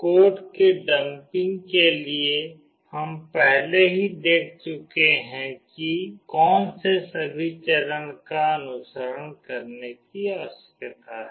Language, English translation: Hindi, For dumping the code, we have already seen what all are the steps that need to be followed